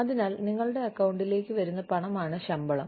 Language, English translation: Malayalam, So, salary is the money, that comes into your account